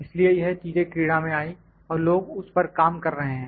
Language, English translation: Hindi, So, those things came into play and people are working on that